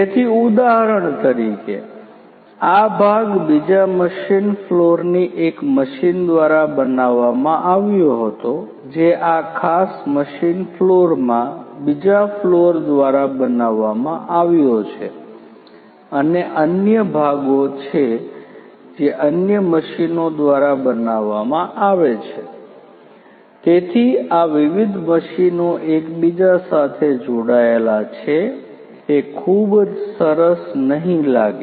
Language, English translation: Gujarati, So, for example, this part was made by one of the machines in another machine floor this is made by another machine in this particular machine floor and there are other parts that are made by other machines